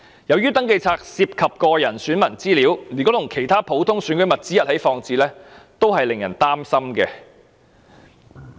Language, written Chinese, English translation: Cantonese, 由於登記冊涉及選民個人資料，如果與其他普通選舉物資一起放置，是會令人感到擔憂的。, Since the Register involved electors personal data it would be worrying if it was placed with other ordinary election materials